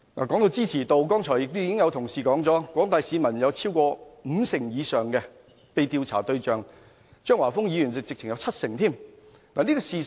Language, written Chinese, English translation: Cantonese, 在支持度方面，剛才已有同事說過，在廣大市民中，五成以上受訪者支持這個方案，張華峰議員更說有七成支持度。, In terms of public support a Member has pointed out that over 50 % of the public support the proposal and Mr Christopher CHEUNG has even said that the proposal has gained 70 % support